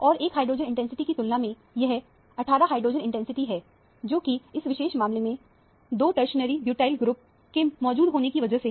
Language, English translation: Hindi, And, compared to this one hydrogen intensity, this is a 18 hydrogen intensity, which is probably due to the presence of two tertiary butyl group in this particular case